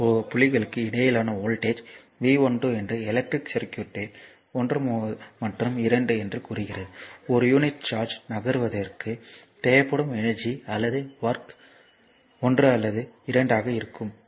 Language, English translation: Tamil, Therefore when you come here thus the voltage V 12 between 2 points say 1 and 2 in an electric circuit is that energy or work needed to move, a unit charge from 1 to 2